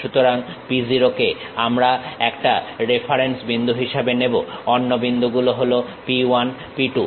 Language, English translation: Bengali, So, as a reference point P0 we will take other point is P 1, P 2